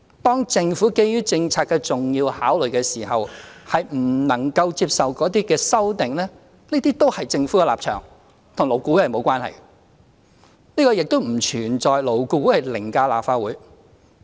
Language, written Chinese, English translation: Cantonese, 當政府基於政策的重要考慮，不能接受某些修正案時，這都是政府的立場，與勞顧會無關，亦不存在勞顧會凌駕立法會的情況。, When the Government is unable to accept certain amendments because of important policy considerations this is the Governments position and has nothing to do with LAB and there is no question of putting LAB above the Legislative Council